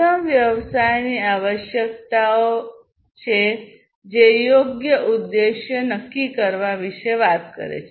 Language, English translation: Gujarati, First is the business requirements, which talks about setting the right objectives